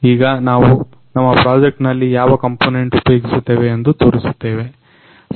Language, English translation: Kannada, So, now we are going to show you what component we are going to use in our project